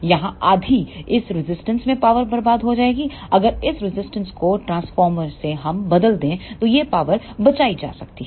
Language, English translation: Hindi, Here half of the power will be wasted in this resistor this power can be saved if we replace this resistor by a transformer